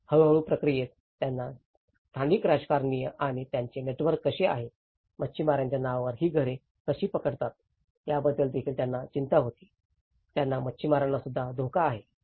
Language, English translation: Marathi, So, in gradual process, they also have worried about how the local politicians and their networks, how they can grab these houses on the name of fishermanís that is also one of the threat which even fishermen feel about